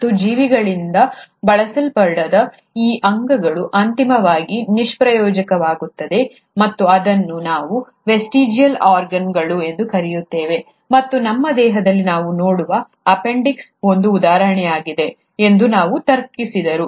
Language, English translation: Kannada, And, he also reasoned that those organs which are not being used by the organisms will eventually become useless and that is what we call as the vestigial organs, and one of the examples is the appendix that we see in our body